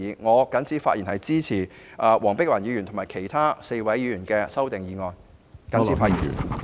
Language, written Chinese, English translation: Cantonese, 我謹此發言支持黃碧雲議員及其他4位議員的修正案。, With these remarks I express my support to the amendments proposed by Dr Helena WONG and other four Members